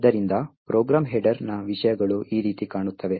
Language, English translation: Kannada, So, the contents of a program header would look something like this